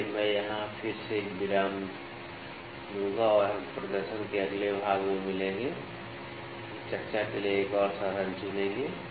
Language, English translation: Hindi, So, I will take a break here again and we will meet in the next part of the demonstration, we will pick another instrument to discuss